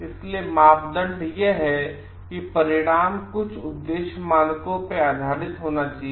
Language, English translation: Hindi, So, criteria is the result should be based on some objective standards